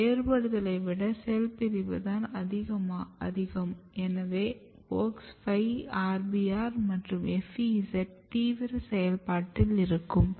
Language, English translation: Tamil, So, here division is dominating over the differentiation and what happens WOX 5 is very active RBR is active and FEZ is active